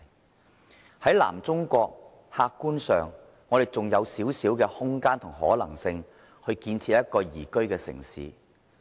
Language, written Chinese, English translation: Cantonese, 客觀上，我們身處的南中國還有少許空間及可能性，建設一個宜居的城市。, Objectively we in Southern China still have some room and possibilities for the construction of a liveable city